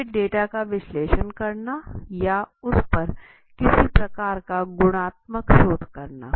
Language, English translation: Hindi, Then analyzing the data or do some kind of qualitative research for example